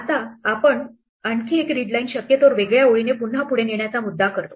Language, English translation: Marathi, Now, we do another readline possibly of different line again the point to move forward